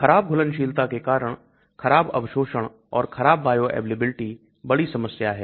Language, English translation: Hindi, It has got poor aqueous solubility, poor bioavailability